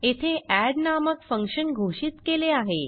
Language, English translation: Marathi, Here we call the add function